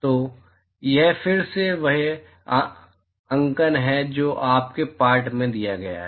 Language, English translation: Hindi, So, that is again the notation that is given in your text